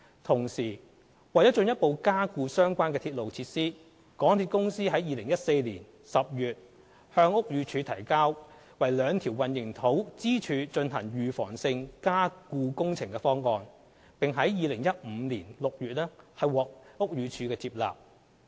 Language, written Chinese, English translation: Cantonese, 同時，為進一步加固相關鐵路設施，港鐵公司於2014年10月向屋宇署提交為兩條混凝土支柱進行預防性加固工程的方案，並於2015年6月獲屋宇署接納。, At the same time to further strengthen the relevant railway facilities MTRCL submitted a proposal for the preventive underpinning works for the two concrete columns to BD in October 2014 . It was accepted by BD in June 2015